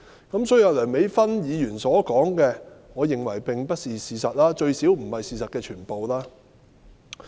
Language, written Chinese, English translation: Cantonese, 因此，梁美芬議員所說的，我認為並非事實，最少不是事實的全部。, For this reason I think what Dr Priscilla LEUNG said are not the facts or not the full facts